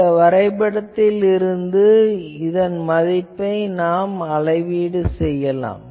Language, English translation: Tamil, And now, from this plot, you find out what is this value in this scale